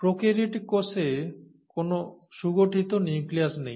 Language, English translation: Bengali, There is no well defined nucleus in a prokaryotic cell